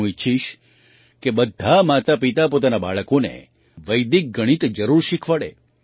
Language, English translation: Gujarati, I would like all parents to teach Vedic maths to their children